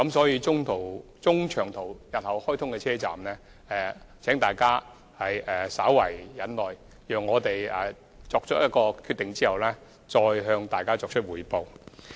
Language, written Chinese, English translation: Cantonese, 因此，關於日後開通的中長途直達站，請大家稍為忍耐，讓我們得出決定後再向大家作出匯報。, Hence in respect of the Mainland cities to which long - haul and direct train services will be available please be patient for a little longer and we will report on the progress once a decision is reached